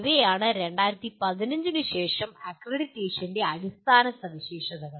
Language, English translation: Malayalam, These are the basic features of accreditation post 2015